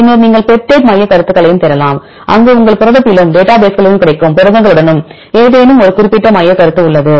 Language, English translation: Tamil, Then also you can search for the peptide motifs, where you have any specific motif in your protein as well as with the proteins available in the database